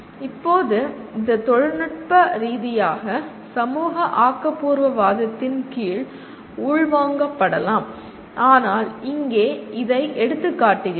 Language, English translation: Tamil, Now this can be technically absorbed under social constructivism but here it highlights this